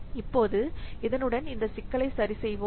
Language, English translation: Tamil, And now with this, now let us take up this problem